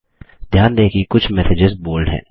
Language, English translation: Hindi, Notice that some messages are in bold